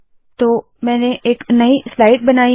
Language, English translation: Hindi, So I have created a new slide